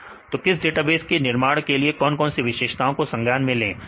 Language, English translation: Hindi, What are the features consider to develop a database